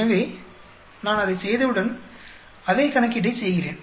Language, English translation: Tamil, So, once I do that, I do the same calculation